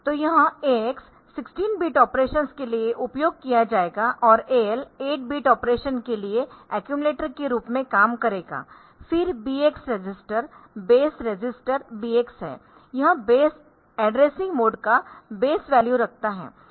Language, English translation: Hindi, So, this is the x will be you will be used for 16 bit operations and AL will be working as accumulator for 8 bit operation, then the BX register base register BX this holds the base addressing base value of the base addressing mode and they